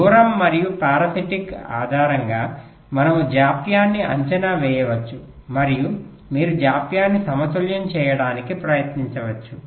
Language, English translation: Telugu, we can estimate the delay based on the distance and the parsitics and you can try to balance the delays right